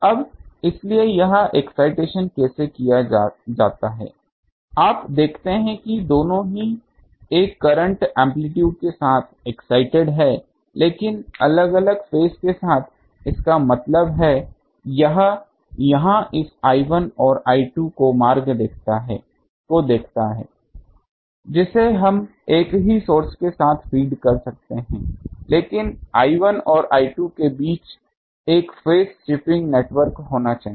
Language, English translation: Hindi, Now, so, how this excitation is done you see that both are excited with the same current amplitude, but with the different phase; that means, this look at here this I 1 and I 2 we can feed with the same source, but between I 1 and I 2 in the path, there should be a phase shipping network